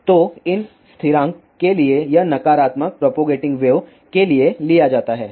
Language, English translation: Hindi, So, this negative sign for these constant is taken for the propagating wave